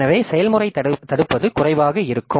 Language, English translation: Tamil, So, the process blocking will be less